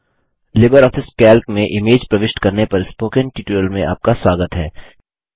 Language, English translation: Hindi, Welcome to Spoken tutorial on Inserting images in LibreOffice Calc